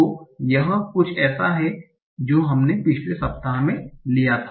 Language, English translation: Hindi, So this is something we also took in the last week